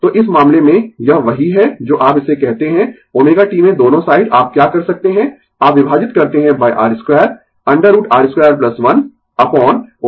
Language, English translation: Hindi, So, in this case, this is what you call this sin omega t the both side what you can do is you divide by R square root over R square plus 1 upon omega c square